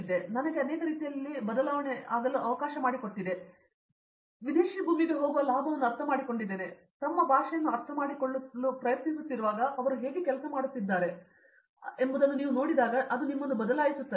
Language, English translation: Kannada, So, that allowed me to change in many ways I mean the perspective that you gain going to a foreign land, trying to understand their language, seeing how they do things, it changes you